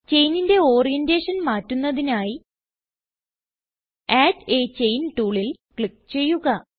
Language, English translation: Malayalam, To change the orientation of the chain, click on Add a Chain tool